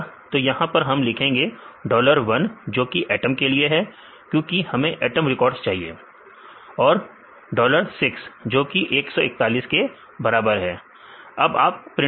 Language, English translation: Hindi, So, here we give the information dollar 1 is atom because we need the atom records and dollar 4 because here is one we give the residue name